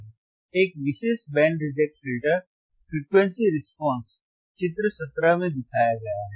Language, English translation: Hindi, A typical Band Reject Filter, A typical Band Reject Filter frequency response is shown in figure 17